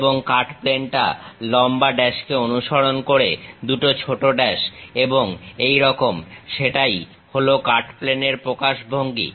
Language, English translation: Bengali, And, the cut plane long dash followed by two small dashes and so on; that is a cut plane representation